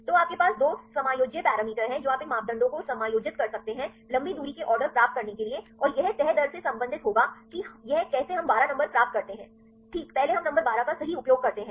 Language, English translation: Hindi, So, you have 2 adjustable parameters you can adjust these parameters to get the long range order and how far this will relate the folding rates this is how we get the numbers 12, right earlier we use number 12 right